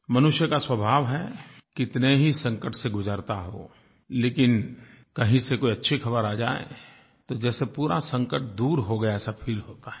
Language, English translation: Hindi, It is human nature that no matter how many perils people face, when they hear a good news from any corner, they feel as if the entire crisis is over